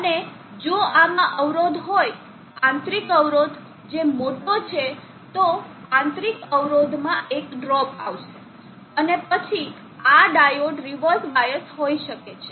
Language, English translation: Gujarati, And if this has a impedance, internal impedance which is larger then there will be a drop across the internal impedance, and then this diode may reverse biased